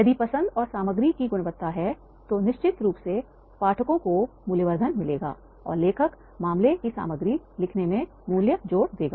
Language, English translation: Hindi, If the choice of the quality and content is there, then definitely the readers they will find the value addition and the author that he will add the value in writing the content of the case